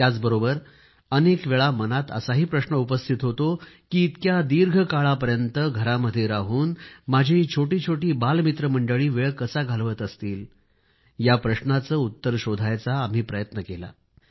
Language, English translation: Marathi, But at the same time, the question that frequently comes to mind is, how my young little friends are spending their time while they remain homebound for so long